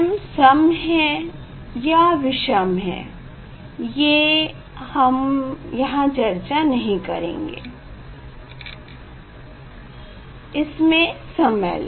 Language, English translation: Hindi, If m is odd and m is even here, I will not just describe it will take time